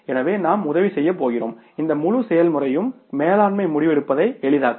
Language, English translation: Tamil, So, we are going to be helped out and this entire process is going to facilitate the management decision making